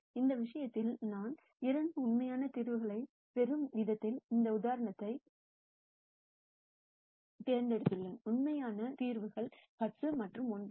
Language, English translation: Tamil, In this case we have chosen this example in such a manner that I get two real solutions and the real solutions are 10 and 1